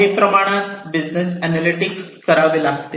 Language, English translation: Marathi, So, some business processing analytics will have to be performed